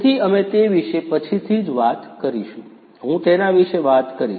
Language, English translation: Gujarati, So, we are going to talk about that later on, I am going to talk about it